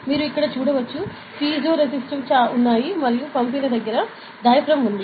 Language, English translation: Telugu, So, you can see here, there are piezoresistives ok and in the sender there is a diaphragm, ok